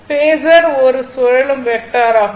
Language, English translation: Tamil, Phasor is a rotating vector